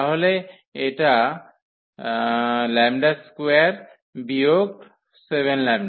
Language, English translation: Bengali, So, this is lambda square minus this 7 lambda